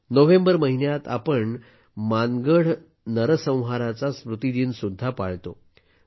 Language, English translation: Marathi, In the month of November we solemnly observe the anniversary of the Mangadh massacre